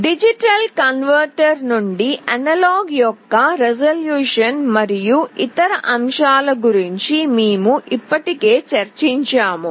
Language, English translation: Telugu, We have already discussed about the resolution and other aspects of analog to digital converter